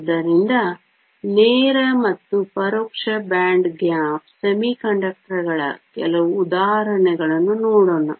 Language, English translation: Kannada, So, let us look at some examples of direct and indirect band gap semiconductors